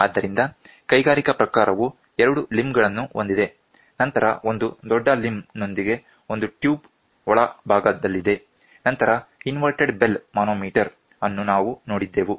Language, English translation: Kannada, So, the industrial type we saw with two limbs then one large limb with one tube inside, then inverted bellow manometer we saw